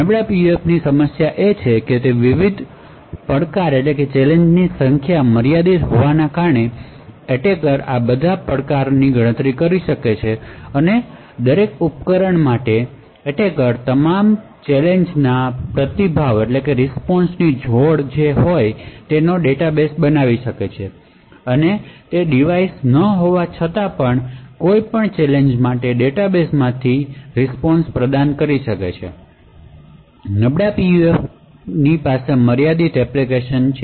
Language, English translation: Gujarati, So the problem with the weak PUF is that because the number of different challenges are limited, the attacker may be able to enumerate all of these challenges and for each device the attacker could be able to create a database of all challenge response pairs and therefore without even having the device the attacker would be able to provide a response from his database for any given challenge therefore, weak PUFs have limited applications